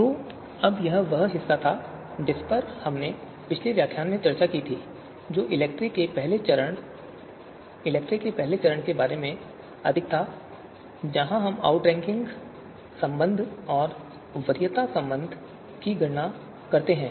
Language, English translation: Hindi, So now, that was the the the part that we had discussed in the previous lecture that was more about the first phase of ELECTRE, first stage of ELECTRE where we you know compute the outranking degree and and the preference relation, outranking relation and preference relation